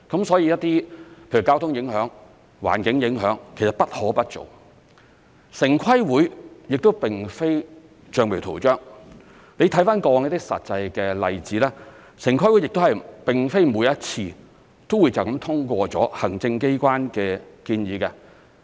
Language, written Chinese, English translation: Cantonese, 所以一些例如交通影響、環境影響，其實不可不做，城市規劃委員會亦並非橡皮圖章，你看過往一些實際的例子，城規會亦並非每一次都直接通過行政機關的建議。, For this reason assessing the impacts of developments on the traffic and environment is something that we must do . The Town Planning Board TPB is definitely not a rubber stamp . As seen from some actual examples in the past TPB did not always adopt the recommendations of the Executive Authorities directly